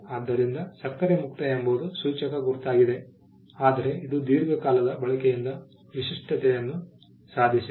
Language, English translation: Kannada, So, sugar free is a suggestive mark, but it has attained distinctiveness by usage for a long period of time